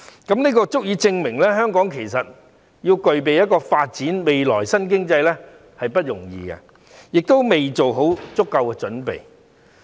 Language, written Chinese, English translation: Cantonese, 這樣足以證明，香港其實要發展新經濟並不容易，亦未做好足夠準備。, This can sufficiently prove that while it actually is not easy for Hong Kong to develop new economy Hong Kong is also not readily prepared